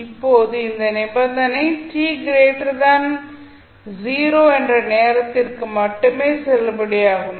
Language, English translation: Tamil, Now, this condition is valid only for time t greater than 0